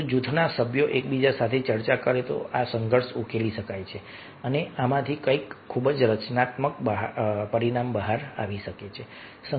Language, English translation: Gujarati, if the group members are discussing among themselves, then this conflict can be resolved and something very constructive might come up out of this